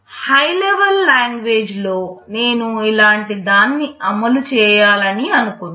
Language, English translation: Telugu, Suppose in high level language, I want to implement something like this